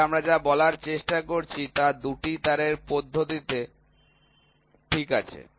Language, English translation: Bengali, So, what we are trying to say is in the 2 wire method, ok